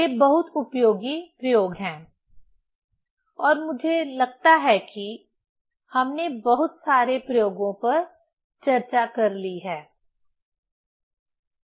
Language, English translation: Hindi, These are very useful experiments and I think lot of experiments we have discussed; these are the basic experiments